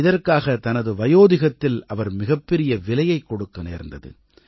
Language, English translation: Tamil, For this, he had to pay a heavy price in his old age